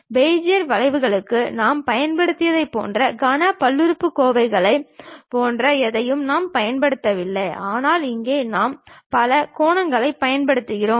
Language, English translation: Tamil, And we do not use anything like cubic polynomials, like what we have used for Bezier curves, but here we use polygons